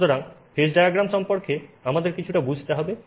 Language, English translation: Bengali, So, this is called a phase diagram